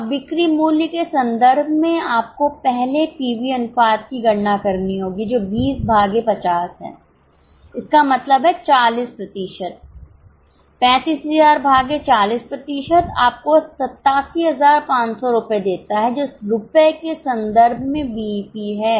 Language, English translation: Hindi, Now, in terms of sales value, you will have to first calculate pv ratio which is 20 by 50 that means 40%, 35,000 by 40% gives you 87,500 rupees